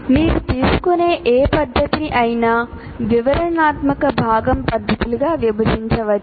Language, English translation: Telugu, And any method that you take can also be broken into detailed component methods